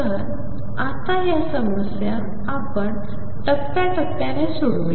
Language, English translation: Marathi, So, let us now take these problems step by step